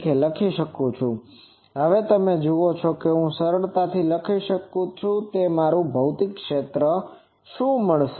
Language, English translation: Gujarati, So, now you see I can easily tell that what is my physical area